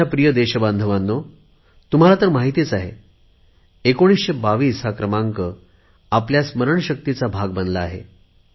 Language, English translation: Marathi, My dear countrymen, you already know that number 1922 …it must have become a part of your memory by now